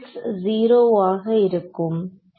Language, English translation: Tamil, q x will be 0